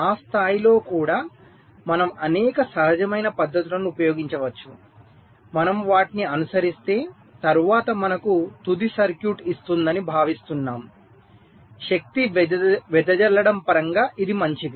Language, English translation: Telugu, if and at that level, we can use a number of intuitive techniques which, if you follow, is expected to give us a final circuit later on that will be good in terms of power dissipation